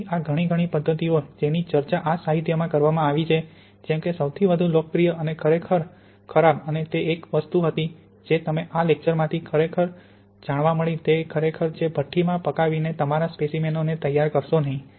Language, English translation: Gujarati, So these many, many methods which have been discussed in the literature, the most popular and actually the worse, and it was one thing you really retained from these lectures, it is really do not prepare your samples by drying in oven